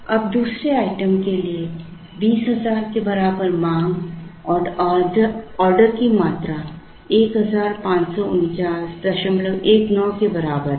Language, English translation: Hindi, Now, for the 2nd item, with demand equal to 20,000 and order quantity equal to 1549